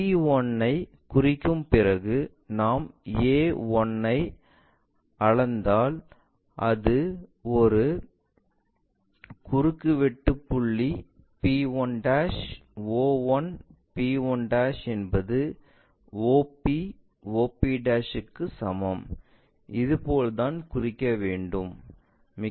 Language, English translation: Tamil, After marking p1' if we measure o 1, this is the intersecting point p1' if we are dropping there by a line, o 1 p 1' is equal to o p p o p' that is the way we mark it